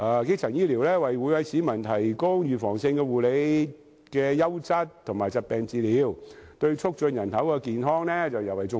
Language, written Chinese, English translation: Cantonese, 基層醫療為每位市民提供預防性護理和優質和疾病治理，對促進人口的健康尤為重要......, Primary care provides preventive care as well as quality management of diseases to everyone which is important for promoting health of the population